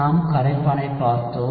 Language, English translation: Tamil, We had looked at solvent